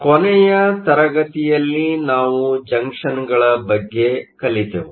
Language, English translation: Kannada, Last class we started looking at junctions